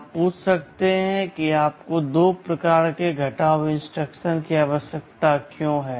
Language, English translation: Hindi, You may ask why you need two kinds of subtract instruction